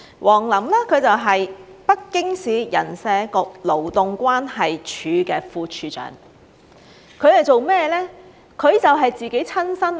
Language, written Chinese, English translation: Cantonese, 王林是北京市人社局勞動關係處的副處長，他是做甚麼的呢？他就是自己親身......, WANG Lin is the deputy head of the labour relations department of the Beijing Municipal Human Resources and Social Security Bureau . What has he done?